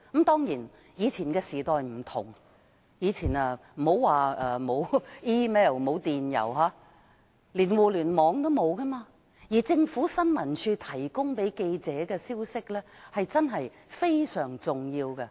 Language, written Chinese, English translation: Cantonese, 當然，以前的時代與現在不同，那時不僅沒有電郵，連互連網也沒有，而新聞處向記者提供的消息，確實非常重要。, Certainly times back then were different . Unlike today there was no email and not even Internet . Hence the information released by ISD to reporters was extremely important